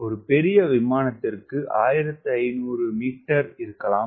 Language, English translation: Tamil, or for bigger aeroplane, may be fifteen hundred meters